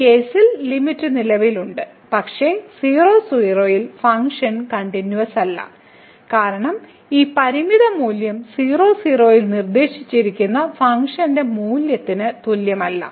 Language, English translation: Malayalam, So, the limit exist in this case, but the function is not continuous at , because this limiting value is not equal to the function value which is prescribed at